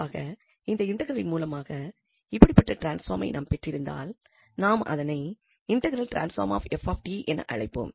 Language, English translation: Tamil, So, in general, when we have such transforms through this integral we call them as integral transform of f t